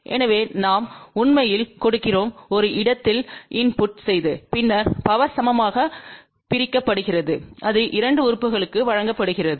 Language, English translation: Tamil, So, what will you do so we actually gave input at one place and then the power is divided equally and that is given to the 2 element